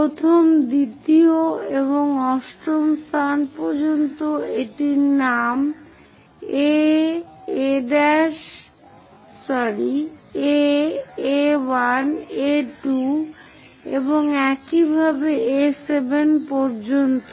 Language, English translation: Bengali, First one, second one and so on all the way to eighth one name it like A, A1, A2 and so on all the way to A7